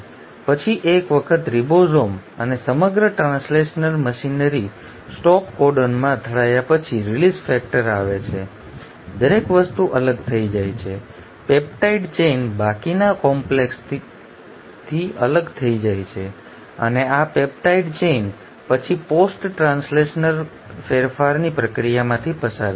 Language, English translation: Gujarati, And then once the ribosome and the entire translational machinery bumps into a stop codon the release factor comes every things gets dissociated, the peptide chain gets separated from the rest of the complex and this peptide chain will then undergo the process of post translational modification